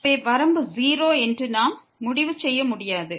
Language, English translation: Tamil, Thus, we cannot conclude that the limit is 0